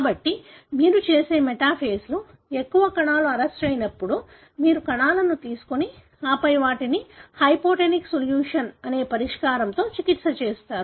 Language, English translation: Telugu, So, when majority of the cells are arrested at metaphase what you do is, you take the cells and then treat them with a solution called hypotonic solution